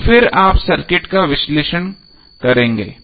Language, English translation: Hindi, And then you will analyze the circuit